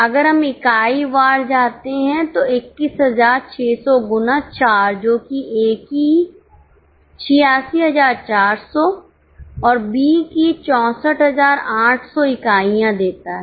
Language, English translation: Hindi, If we go unit wise 21 600 into 4, that is 86 400 of A's and 64 800s of B's